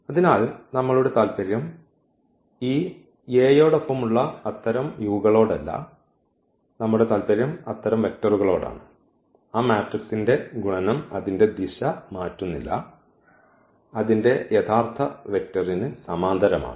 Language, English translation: Malayalam, So, our interest is not exactly this u with this A, our interest is for such vectors whose multiplication with that matrix does not change its direction its a parallel to the original vector v